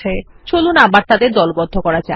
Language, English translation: Bengali, Lets group them again